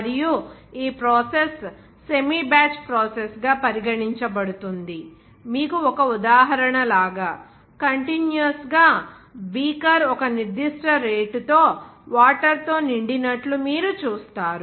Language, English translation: Telugu, And this process is regarded as a semi batch process in this case; you will see that like one example, feeling the beaker of you will see that are continuously beaker is filled with water at a certain rate